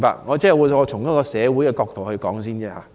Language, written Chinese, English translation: Cantonese, 我只是先從社會的角度發言。, I was only speaking from a social perspective first